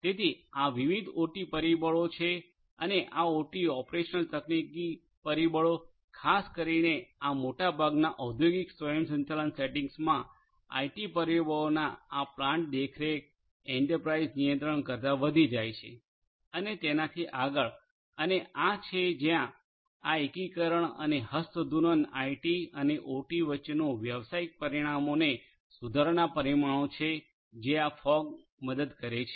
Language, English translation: Gujarati, So, these are the different OT factors and these OT operational technology factors typically in most of these industrial automation settings these outweigh the IT factors of plant supervision, enterprise control and so on and this is where this integration and handshaking of these IT and OT parameters for improving the business outcomes this is where this fog can help